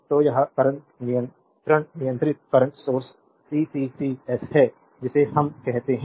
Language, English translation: Hindi, So, it is current controlled current source CCCS we call right